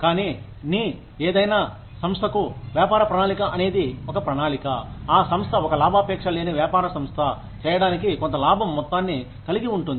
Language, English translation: Telugu, But, business plan for any organization is a plan, that the organization, that a for profit business organization has, in order to make, a certain amount of profit